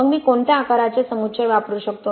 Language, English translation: Marathi, What size of aggregates then can I use